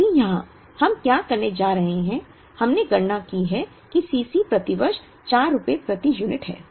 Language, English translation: Hindi, Now here, what we are going to do is, we have calculated that C c is rupees 4 per unit per year